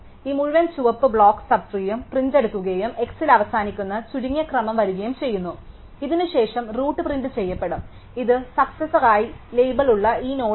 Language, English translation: Malayalam, So, this entire red, block sub tree will be printed out and sorted order ending with x, after this the root will be printed thus which is this node which we have label as successor